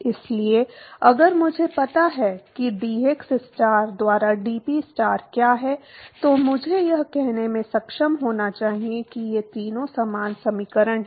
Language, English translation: Hindi, So, only if I know what is the, what is dPstar by dxstar, then I should be able to say that these three are similar equations